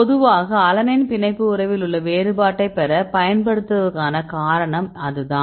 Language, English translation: Tamil, That is the reason why they use generally its alanine to get the difference in binding affinity right